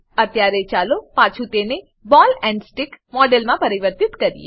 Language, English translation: Gujarati, Let us now convert it back to ball and stick model